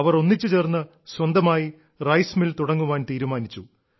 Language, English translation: Malayalam, They decided that collectively they would start their own rice mill